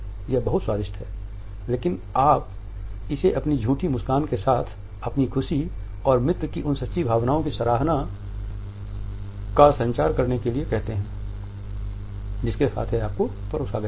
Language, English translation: Hindi, It’s so yummy it’s so tasty” but you say it with a false smile in order to communicate your happiness and at the same time in order to appreciate the true sentiments over which it has been served to you